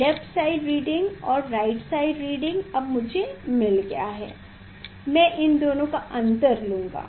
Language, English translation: Hindi, left side reading and side reading I got now I will take difference of these two